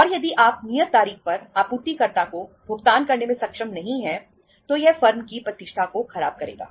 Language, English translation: Hindi, And if you are not able to make the payment to supplier on the due date, it will spoil the reputation of the firm